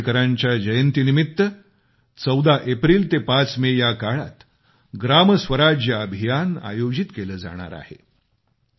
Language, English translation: Marathi, Ambedkar from April 14 to May 5 'GramSwaraj Abhiyan,' is being organized